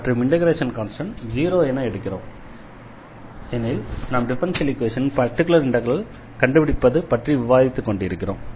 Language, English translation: Tamil, And we can set this constant of integration as 0, the reason is because we are talking about here or we are discussing how to find a particular solution of the differential equation